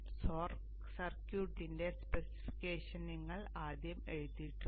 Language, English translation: Malayalam, You have the specification of the circuit written first